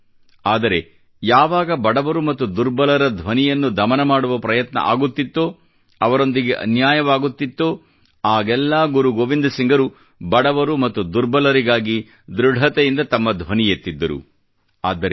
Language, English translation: Kannada, He was bestowed with a quiet and simple personality, but whenever, an attempt was made to suppress the voice of the poor and the weak, or injustice was done to them, then Guru Gobind Singh ji raised his voice firmly for the poor and the weak and therefore it is said